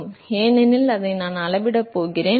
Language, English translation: Tamil, So, because, that is what we are going to measure